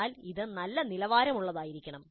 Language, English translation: Malayalam, But this must be of a good quality